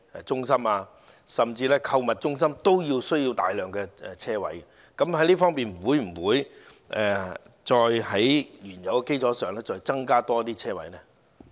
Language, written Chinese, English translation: Cantonese, 其實，購物中心也需要大量車位，就這方面，當局會否在原有基礎上再增設車位？, In fact the shopping centre also needs a large number of parking spaces . In this regard will the authorities provide additional parking spaces on the original basis?